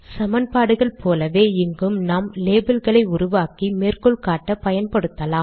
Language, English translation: Tamil, As in equations, we can also create labels and use them for referencing